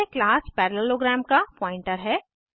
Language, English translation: Hindi, This is the pointer of class parallelogram